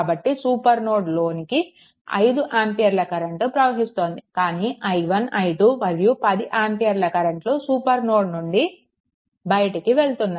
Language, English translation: Telugu, So, 5 this this current is entering to the supernode, but current i 1 i 2 and 10 ampere all are leaving the supernode